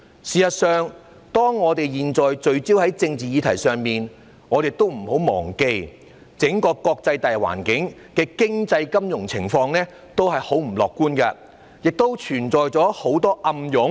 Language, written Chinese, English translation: Cantonese, 事實上，當我們現在聚焦在政治議題上的時候，不要忘記，整個國際大環境的經濟金融情況都很不樂觀，存在很多暗湧。, In fact while we focus on the political issues now we must not forget that the entire international economic and financial situation is not at all optimistic and there are a lot of undercurrents